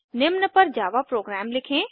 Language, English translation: Hindi, Write java program for the following